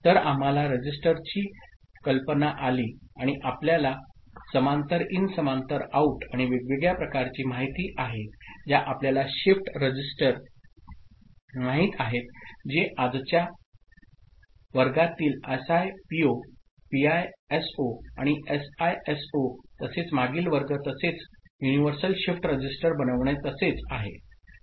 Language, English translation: Marathi, So, we got an idea of the register and you know the parallel in parallel out and different kinds you know shift registers that is a SIPO, PISO and SISO in today’s class as well as the previous class as well as what is in the making of universal shift register